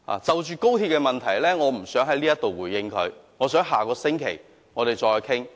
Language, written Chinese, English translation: Cantonese, 對於高鐵問題，我不想在此回應她，我們在下星期再討論。, In respect of XRL I do not want to respond to her here . We will discuss it next week